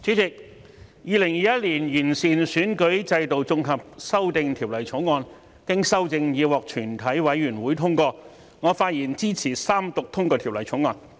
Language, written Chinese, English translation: Cantonese, 主席，《2021年完善選舉制度條例草案》經修正已獲全體委員會通過，我發言支持三讀通過《條例草案》。, President the Improving Electoral System Bill 2021 the Bill has been passed by committee of the whole Council with amendments . I speak in support of the Third Reading of the Bill